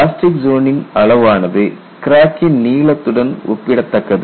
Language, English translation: Tamil, The plastic zone size is comparable to length of the crack